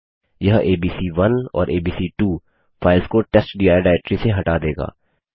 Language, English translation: Hindi, This remove the files abc1 and abc2 from testdir directory